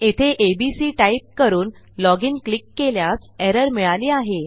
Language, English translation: Marathi, But here when we choose abc and we click log in and we have got an error